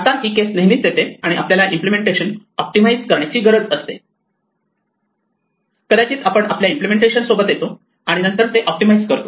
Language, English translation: Marathi, Now this is often the case when we need to optimize implementation, we might come up with an inefficient implementation and then optimize it